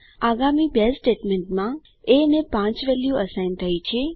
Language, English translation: Gujarati, In the next two statements, a is assigned the value of 5